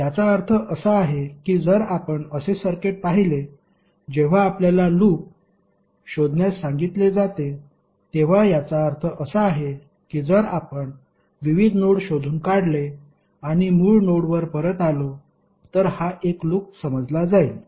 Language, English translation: Marathi, So that means if you see the circuit like this when you are ask to find out the loop, it means that if you trace out various nodes and come back to the original node then this will consider to be one loop, right